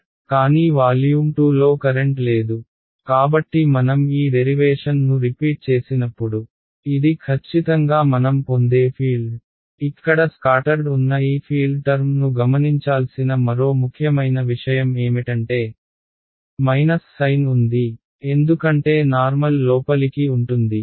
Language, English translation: Telugu, But there is no current in volume 2 so when I repeat this derivation this is exactly the field that I will get; another important think to note this scattered field term over here had a minus sign, because the normal was inward